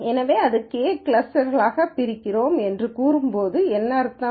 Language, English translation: Tamil, So, what does it mean when we say we partition it into K clusters